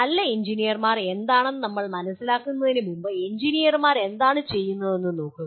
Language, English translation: Malayalam, Before we go and understand what are good engineers but actually look at what do engineers do